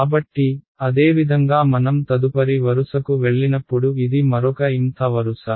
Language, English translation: Telugu, So, similarly when I go to the next row this is yet another the mth row